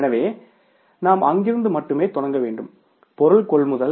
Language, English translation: Tamil, So, we will have to start from there only, material procurement